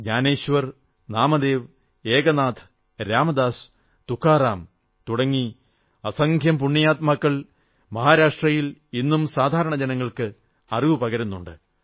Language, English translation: Malayalam, Innumerable saints like Gyaneshwar, Namdev, Eknath, Ram Dass, Tukaram are relevant even today in educating the masses